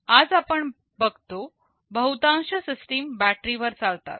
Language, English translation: Marathi, Most of the systems we see today, they run on battery